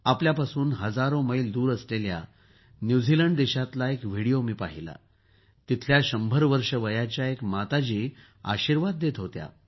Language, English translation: Marathi, I also saw that video from New Zealand, thousands of miles away, in which a 100 year old is expressing her motherly blessings